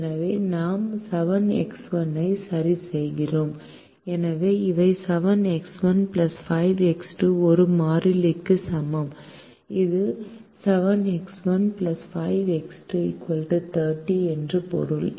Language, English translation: Tamil, so these are seven x one, seven x one plus five x two equal to a constant